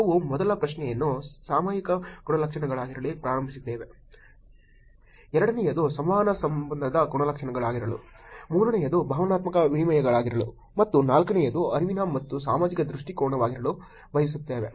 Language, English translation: Kannada, We started the first question to be topical characteristics, second one to be the engagement characteristics, third one to be emotional exchanges, and the fourth one to be cognitive and social orientation